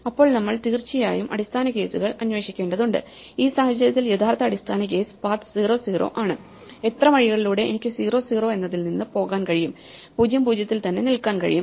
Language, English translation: Malayalam, Then we need to of course, investigate the base cases: in this case the real base case is just paths(0, 0): in how many ways can I go from (0, 0) and just stay in (0, 0)